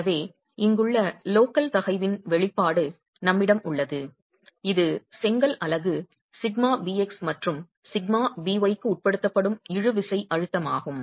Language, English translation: Tamil, So we have an expression of the local stress here which is the tensile stress that the brick unit is subjected to sigma bx and sigma b y